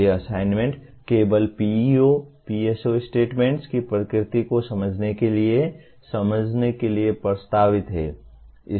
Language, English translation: Hindi, So these assignment are proposed only to understand, to facilitate the understanding of the nature of PEO, PSO statements